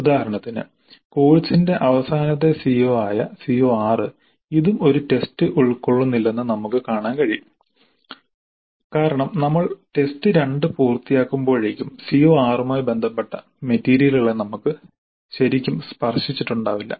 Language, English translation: Malayalam, of the course we can see that it is not covered by any test at all because by the time we complete the test 2 still we have not really touched on the material related to CO6